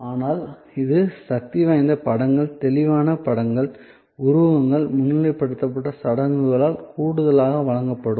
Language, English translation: Tamil, But, it will be supplemented by powerful images, vivid images, metaphors, rituals to highlight